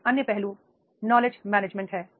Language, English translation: Hindi, Another aspect is the knowledge management